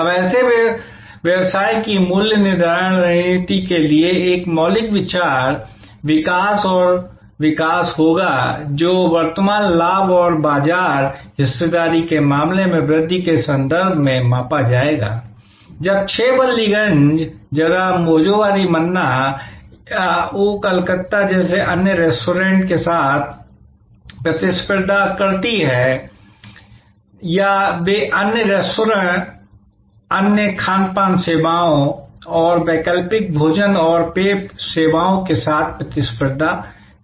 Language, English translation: Hindi, Now, for pricing strategy of such a business, one fundamental consideration will be growth and growth which will be measured in terms of current profit and growth in terms of market share, when 6 Ballygunge place competes with similar other restaurants like Bhojohori Manna or like Oh Calcutta or they compete with alternative food and beverage services like other restaurants, other catering services and so on